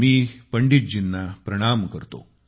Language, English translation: Marathi, I render my pranam to Pandit ji